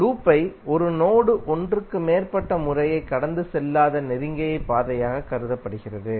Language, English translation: Tamil, Loop can be considered as a close path with no node passed more than once